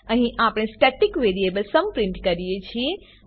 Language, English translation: Gujarati, Here we print the static variable sum